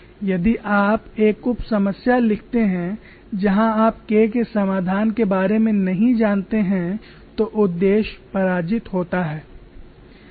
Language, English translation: Hindi, If you write a sub problem where you do not know solution for K, then the purpose is difficult